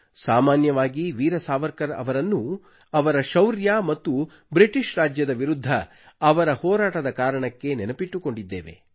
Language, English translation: Kannada, Generally Veer Savarkar is renowned for his bravery and his struggle against the British Raj